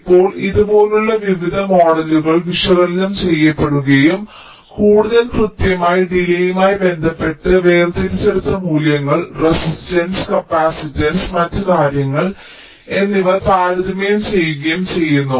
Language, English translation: Malayalam, now various models like these have been analyzed and with respect to the more accurate delay characteristics which is obtained by extracted values, resistance, capacitance and other things have been compared